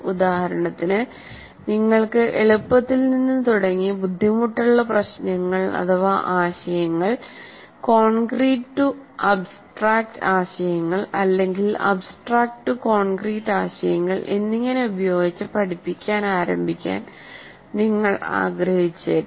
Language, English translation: Malayalam, For example, you may want to start with easy to difficult problems or easy to difficult concepts, concrete to abstract concepts or abstract to concrete concept